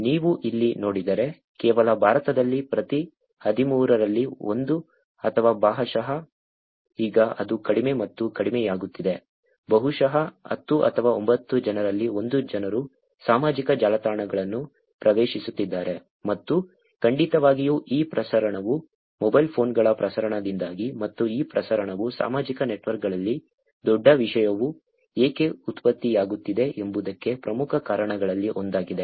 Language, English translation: Kannada, If you see here, just in India, 1 in every 13 or probably now it is getting lesser and lesser, 1 in probably 10 or 9 people are accessing social networks and definitely this proliferation is because of the proliferation of the mobile phones also, and this proliferation is one of the main reasons why the large content is getting generated in social networks also